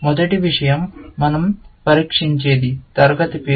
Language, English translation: Telugu, The first thing, we test for, is a class name